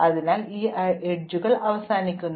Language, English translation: Malayalam, So, there are these edges which are left out